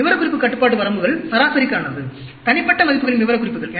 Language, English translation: Tamil, Specification control limits are for averages, specifications of individual values